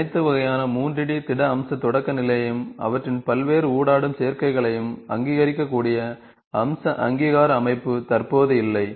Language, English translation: Tamil, There is no existing feature recognition system that could recognize all type of 3D solid feature primitives and their various interacting combinations